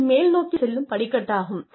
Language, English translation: Tamil, This is a staircase going upwards